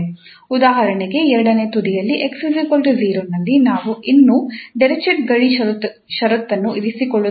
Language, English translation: Kannada, The second end for instance at x equal to 0, we are still keeping as Dirichlet boundary condition